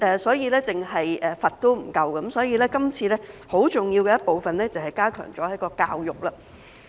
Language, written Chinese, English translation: Cantonese, 所以，單單刑罰是不足夠的，今次有一個很重要的部分，就是加強了教育。, Penalties alone are not enough and that is why the current amendment has incorporated a very important part namely the enhancement of education